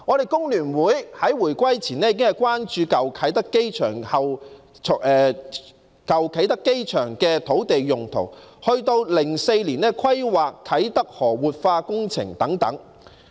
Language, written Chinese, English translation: Cantonese, 香港工會聯合會在回歸前已經關注舊啟德機場的土地用途，一直到2004年規劃啟德河活化工程等。, The Hong Kong Federation of Trade Unions was already concerned about the land use at the former Kai Tak Airport before the reunification and the planning of the revitalization works at Kai Tak River in 2004